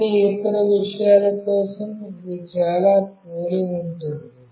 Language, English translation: Telugu, For all other things, it is pretty similar